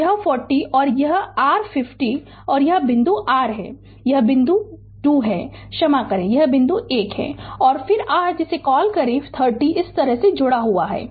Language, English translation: Hindi, So, this is 40 ohm and this is your 50 ohm right and this point is your this point is 2 sorry this point is 1 and then your what you call this 30 ohm is connected like this